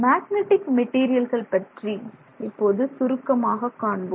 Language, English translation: Tamil, Okay, so now let's see briefly what we have in terms of magnetic materials